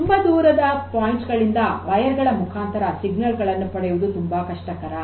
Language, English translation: Kannada, To get the wired signal from far off points